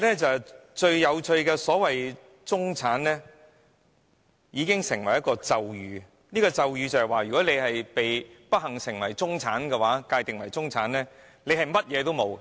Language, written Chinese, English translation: Cantonese, 最有趣的是中產，"中產"彷彿成為咒語，如果你不幸被界定為"中產"，你便甚麼也沒有。, Interestingly enough if you are unfortunately enough to be labelled the middle class there will be nothing for you as if a spell has been cast on the term middle class